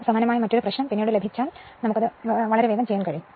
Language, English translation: Malayalam, So, because similar type of problem later you will get it so, one can do it very easily right